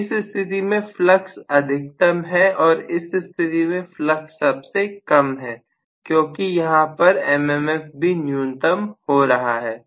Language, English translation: Hindi, So, in this case flux is maximum out of the reconnections and in this case flux is minimum because I am looking at the M M F also getting minimum